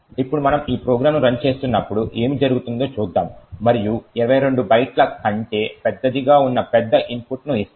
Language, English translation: Telugu, Now let us see what would happen when we run this program and give a large input which is much larger than 22 bytes